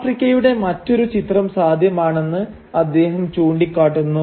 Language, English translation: Malayalam, He also points out that therefore there is this other image of Africa that is possible